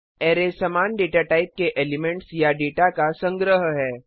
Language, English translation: Hindi, Array is the collection of data or elements of same data type